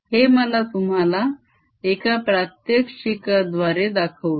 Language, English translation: Marathi, let me show this to you through a demonstration